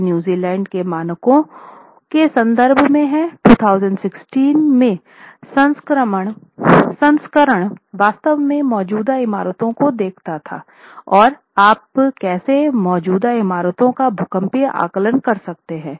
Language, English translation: Hindi, This is with reference to the New Zealand standards, and the New Zealand standards, its version in 2016, actually looks at existing buildings and how you could go about doing a seismic assessment of existing buildings